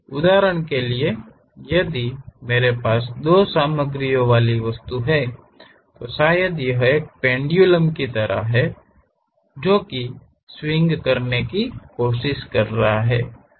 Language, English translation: Hindi, For example, if I have an object having two materials, perhaps it is more like a pendulum kind of thing which is trying to swing